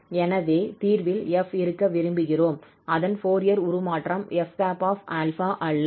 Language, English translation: Tamil, So we would like to have f in the solution, not its Fourier transform f hat